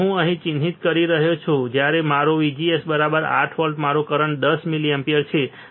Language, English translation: Gujarati, So, I am marking about here, when my VGS is 8 volts my current is about 10 milliampere